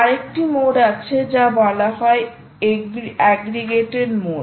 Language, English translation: Bengali, another mode is there, which is called the aggregated mode